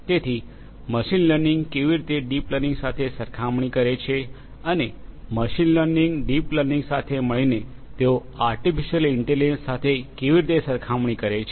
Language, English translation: Gujarati, So, how machine learning compares with deep learning and how machine learning, deep learning; they compared together with artificial intelligence